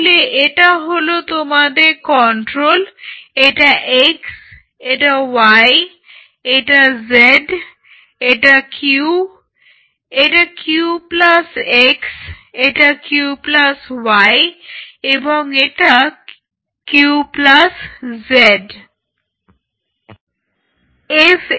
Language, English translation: Bengali, So, this is your control this is x this is y this is z this is q, this is Q plus x, this is Q plus y, this is Q plus z